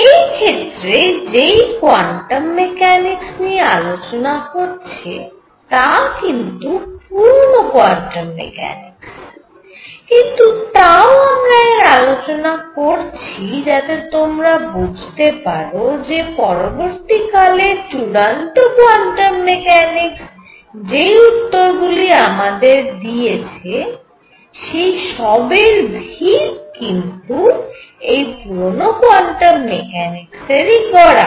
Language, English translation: Bengali, So, this was a kind of quantum mechanics being developed still the old quantum theory, but why I am doing all this is what you will see is that the ideas that later the true quantum mechanics gave the answers that the true quantum mechanics gave was ideas were already setting in through older quantum theory